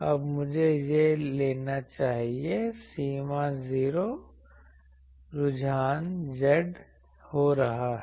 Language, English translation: Hindi, Now, this I should take that this is happening at limit z tending to 0